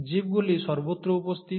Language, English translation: Bengali, The organisms are present everywhere